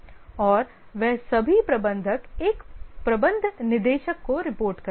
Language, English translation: Hindi, And all of them, all the managers report to a managing director